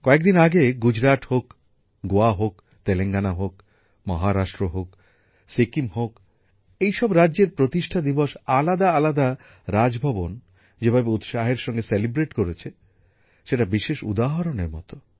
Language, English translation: Bengali, In the past, be it Gujarat, Goa, Telangana, Maharashtra, Sikkim, the enthusiasm with which different Raj Bhavans celebrated their foundation days is an example in itself